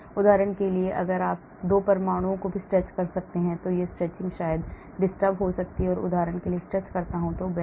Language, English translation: Hindi, for example you can even stretch 2 atoms, this stretch maybe get disturbed for example if I stretch maybe this bend will get disturbed